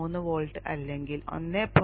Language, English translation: Malayalam, 3 volts or 1